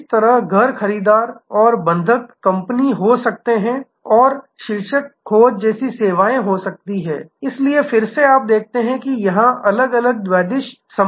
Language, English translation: Hindi, Similarly, there can be home buyer and the mortgage company and there can be services like the title search, so again you see there are different bidirectional linkage formations here